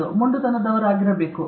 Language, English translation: Kannada, You have to be stubborn